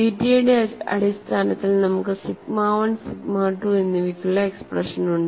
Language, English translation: Malayalam, We have the expressions for sigma 1 and sigma 2 in terms of theta